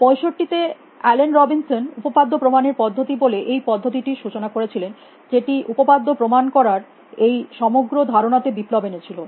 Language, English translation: Bengali, In 65 Allen Robinson introduce is varies this facets call the resolution method for theorem proving which revolutionize is whole idea of theorem proving